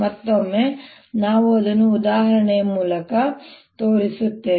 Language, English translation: Kannada, again, will show it through an example